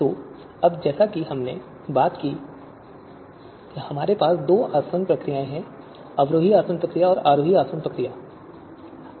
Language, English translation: Hindi, So in the two procedures that we have descending distillation procedure and the ascending distillation procedure